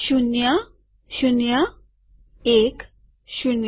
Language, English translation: Gujarati, Zero, zero, one, zero